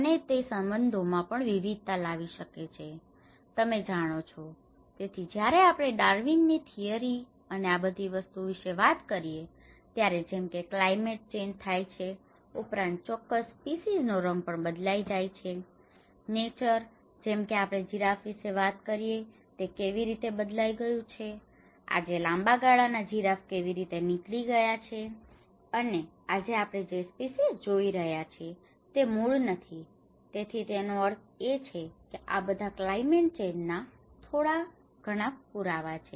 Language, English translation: Gujarati, And it also can alter the relationships you know, so when we talk about the Darwin's theory and all these things, as the climate change happens even the colour of a particular species also changes, the nature like we talk about giraffe and how it has changed, today the long neck giraffe how it has emerged so, which means these are all some of the evidences of that times climate change and today what we are seeing as a species is not the original one